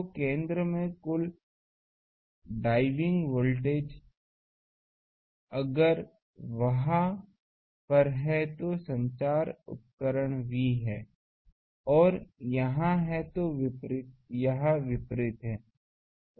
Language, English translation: Hindi, So, total diving voltage at the center, if there are at equipotential is V and here there are, this are opposite